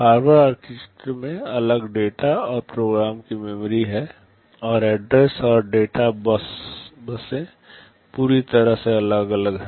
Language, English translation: Hindi, In Harvard architecture there are separate data and program memories, and address and data buses are entirely separate